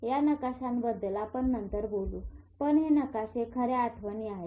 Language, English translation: Marathi, We will talk about this maps later on, but these maps are the real memories